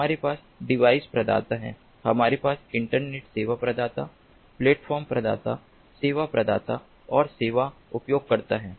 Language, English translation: Hindi, we have device providers, we have internet service providers, platform providers, service providers and service users